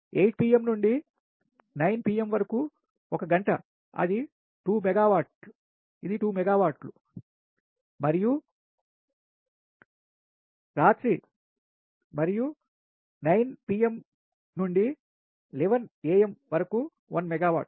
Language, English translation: Telugu, then eight pm to nine, one hour, it is two megawatt, it is two megawatt, and nine pm to eleven am one megawatt